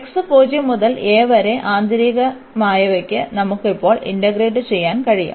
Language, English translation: Malayalam, So, x from 0 to a and for the inner one we can integrate now